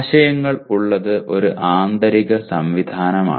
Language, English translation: Malayalam, Having the concepts is an internal mechanism